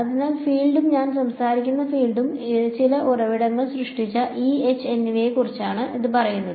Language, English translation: Malayalam, So, it says that the field and by field I am talking about E and H created by some sources J ok